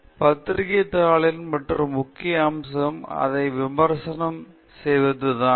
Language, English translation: Tamil, The other important aspect of a journal paper is that it is peer reviewed